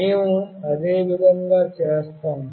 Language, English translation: Telugu, The same way we will be doing that